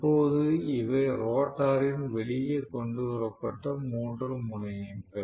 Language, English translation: Tamil, So, now these are three terminals of the rotor that are brought out